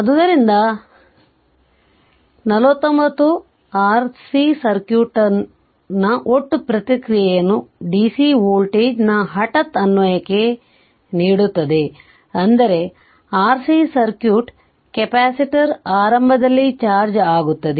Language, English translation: Kannada, So, 49 gives the total response of the R C circuit to a sudden application of dc voltage source, that is R C circuit we apply assuming the capacitor is initially charged right